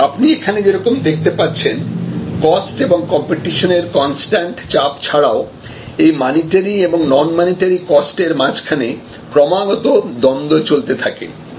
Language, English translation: Bengali, So, as you can see here, besides this constant pressure between cost and competition, there is also a constant rate of between monitory costs and non monitory costs